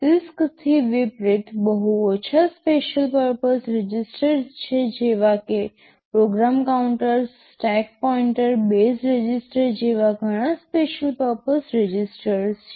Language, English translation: Gujarati, There are very few special purpose registers unlike CISC Architectures where there are lot of special purpose registers like program counters, stack pointer, base registers, and so on and so forth right